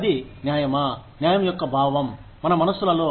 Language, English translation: Telugu, So, that is the fairness, the sense of justice, in our minds